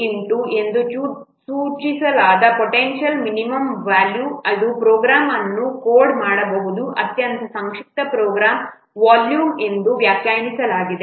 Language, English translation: Kannada, The potential minimum volume which is denoted as V star, it is defined as the volume of the most succinct program in which a program can be coded